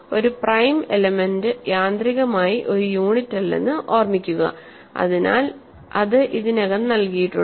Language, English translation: Malayalam, Remember a prime element is automatically not a unit, so that is already given